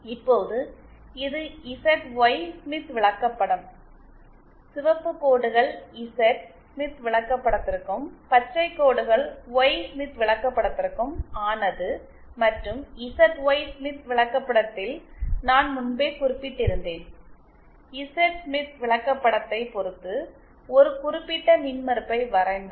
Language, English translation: Tamil, Now this is the ZY Smith chart, the red lines belong to the Z Smith chart and green lines belong to the Y Smith chart and I had mentioned earlier that in a ZY Smith chart, if you plot a particular impedance with respect to the Z Smith chart, then it will also be the correct position with respect to the Y Smith chart